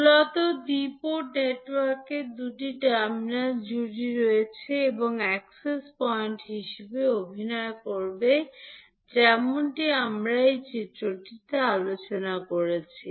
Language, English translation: Bengali, So, basically the two port network has two terminal pairs and acting as access points like we discussed in this particular figure